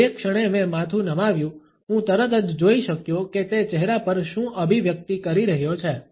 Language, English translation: Gujarati, The moment I tilted my head, I could instantly see the, what the heck is he doing expression on the faces